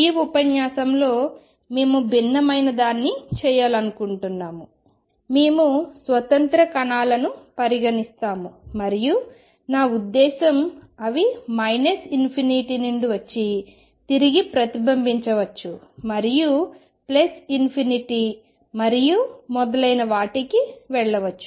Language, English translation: Telugu, In this lecture, we want to do something different in this lecture, we consider free particles and by that I mean; they are coming from minus infinity may reflect back and go to plus infinity and so on